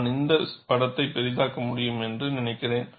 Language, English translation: Tamil, And I think, I can enlarge this picture